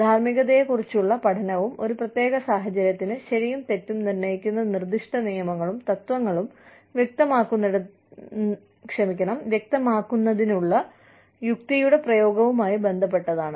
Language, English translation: Malayalam, Ethics is concerned with, the study of morality, and the application of reason, to elucidate specific rules and principles, that determine right and wrong, for a given situation